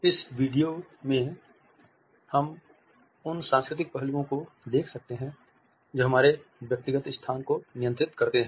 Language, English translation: Hindi, In this particular video, we can look at the cultural aspects which govern our personal space